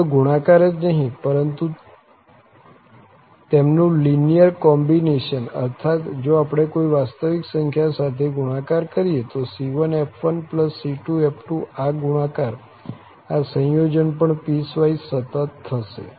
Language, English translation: Gujarati, Not only the product, but also their linear combination, that means if we multiply by some real number c1 f1 plus another real number c2 f2, then this product, this combination is also piecewise continuous